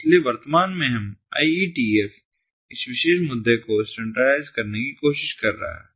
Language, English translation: Hindi, so presently ietf is trying to standardize this particular issue